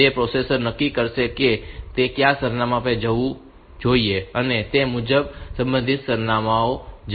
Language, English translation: Gujarati, So, processor will decide to which address it should go and accordingly it will go to the corresponding address